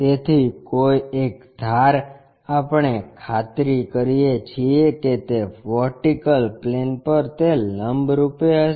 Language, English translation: Gujarati, So, the edge, one of the edge, we make sure that it will be perpendicular to vertical plane